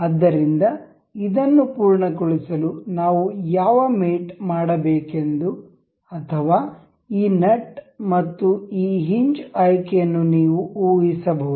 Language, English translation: Kannada, So, to complete this we can you can just guess what a mate is supposed to be done or this nut and this hinge selection